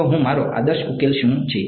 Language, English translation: Gujarati, So, I my ideal solution is what